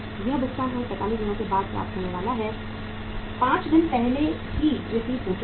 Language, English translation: Hindi, This payment is due to be received by us after 45 days; 5 days have already lapsed